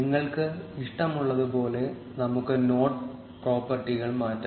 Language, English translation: Malayalam, We can change the node properties, as you like